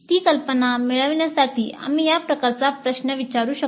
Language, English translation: Marathi, To get that idea we can ask this kind of a question